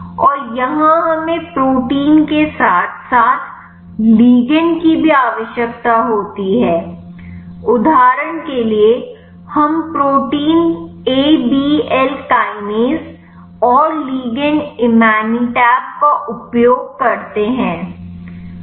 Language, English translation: Hindi, And here we require a protein as well as ligand in the example we use the protein Abl kinase and the ligand Imatinib